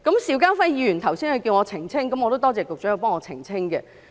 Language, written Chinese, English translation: Cantonese, 邵家輝議員剛才要求我澄清，我也感謝局長代我作出澄清。, Just now Mr SHIU Ka - fai asked me to clarify a point and I thank the Secretary for doing it for me